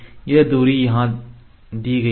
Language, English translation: Hindi, So, this distance is shown here